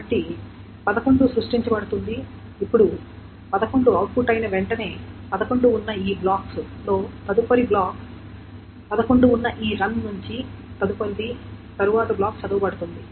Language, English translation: Telugu, Now as soon as 11 is output, the next one from this block which had 11, next one from the run which had 11, the next block will be read, which means 16 will be brought into memory